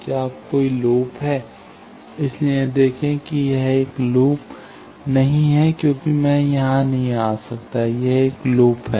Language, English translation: Hindi, So, see this is not a loop because I cannot come here, this is a loop